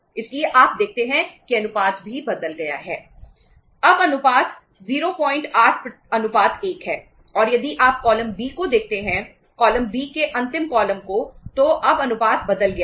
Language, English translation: Hindi, So you see that the ratio has also changed